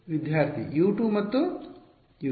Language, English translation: Kannada, U 2 and U 3